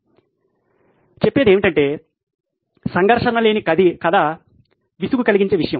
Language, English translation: Telugu, So to speak is that a story without a conflict is a boring thing